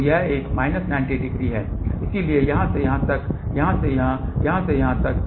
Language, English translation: Hindi, So, this is minus 90, so from here to here, to here, to here, to this here